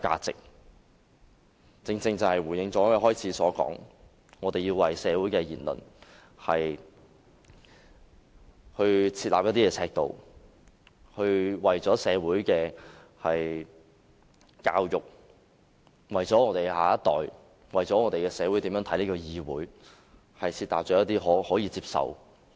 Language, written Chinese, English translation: Cantonese, 這正好回應我發言開始時所說，我們要為社會的言論設立尺度，為社會的教育、為香港的下一代、為社會如何看待立法會議會，制訂可以接受的言論。, This aptly echoes what I said in the beginning . We need to lay down a standard in society for what should be said . For the sake of social education for our next generation and for how society is going to look at meetings of this Council we need to lay down an acceptable standard for our words and look into or censure any unacceptable words and bring out what should be said through debates